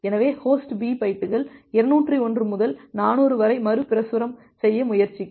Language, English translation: Tamil, So, host B will try to retransmit bytes 201 to bytes 400